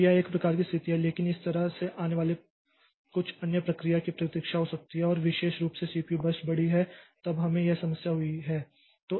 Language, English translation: Hindi, So, this is one type of situation but that way some other process that has arrived may be waiting and particularly the CPU burst is large then we have got this problem